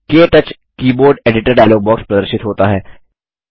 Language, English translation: Hindi, The KTouch Keyboard Editor dialogue box appears